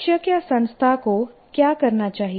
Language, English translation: Hindi, What should the teacher or the institution do